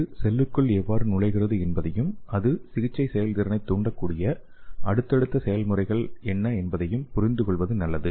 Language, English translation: Tamil, So it is better to understand the mechanism how it can enter into the cell and what is the subsequent process how it can induce the therapeutic efficiency